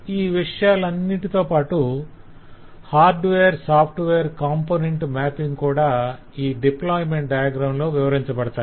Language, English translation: Telugu, that whole description of hardware component and software component mapping is given in terms of the deployment diagram